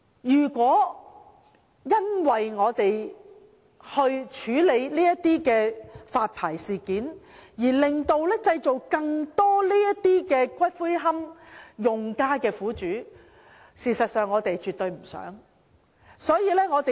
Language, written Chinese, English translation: Cantonese, 如因為處理龕場發牌事件的問題，製造出更多龕位用家的苦主，這絕非我們所願。, It is absolutely not our hope to see more niche users being victimized as a result of the Governments handling of the licensing of columbaria